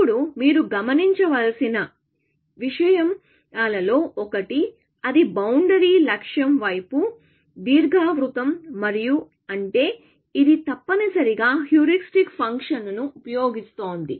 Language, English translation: Telugu, Now, one of the things that you should observe is, that is boundary is ellipse towards the goal and that is, because it is using the heuristic function, essentially